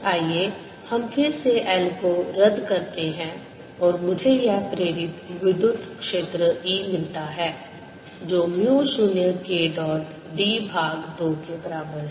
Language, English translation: Hindi, let's again cancel l and i get this induced electric field e to be equal to mu zero k dot d over two